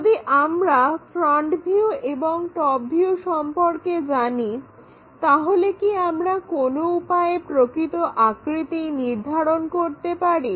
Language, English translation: Bengali, If we know that top view front view and top view, is there a way we can determine what it might be in true shape